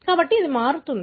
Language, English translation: Telugu, So, it varies